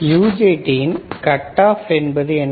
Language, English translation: Tamil, So, UJT cut off; what is cut off